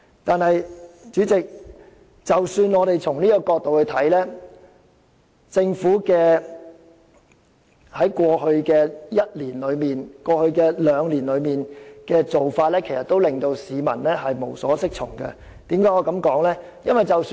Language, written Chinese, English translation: Cantonese, 但是，主席，即使從這個角度而言，政府過去一兩年的做法仍令市民無所適從，為何我要這樣說呢？, However President even though we are ready to consider the issue from this perspective what the Government has done over the last one or two years is still bewildering to many people . Why do I say so?